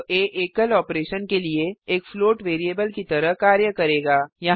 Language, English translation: Hindi, Now a will behave as a float variable for a single operation